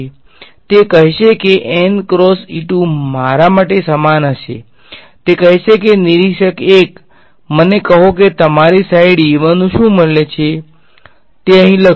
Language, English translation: Gujarati, He will say n cross E 2 for me will be equal to he will say hey observer 1 tell me what is the value of E 1 on your side he will write that over here